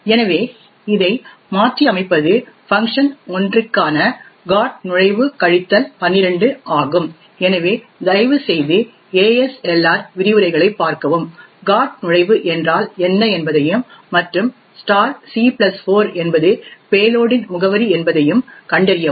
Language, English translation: Tamil, So, what we modify it is with over here is the GOT entry minus 12 for function 1, so please refer to the ASLR lectures to find out what the GOT entry means and *(c+4) is the address of the payload